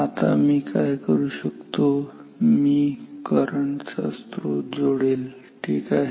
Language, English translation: Marathi, Now what I will do I will connect the source of current ok